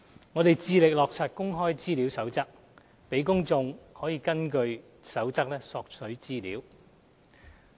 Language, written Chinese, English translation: Cantonese, 我們致力落實《公開資料守則》，讓公眾可根據《守則》索取資料。, We have always been committed to providing information requested by members of the public in accordance with the Code on Access to Information the Code